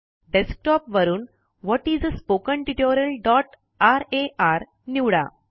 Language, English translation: Marathi, From the Desktop, select the file What is a Spoken Tutorial.rar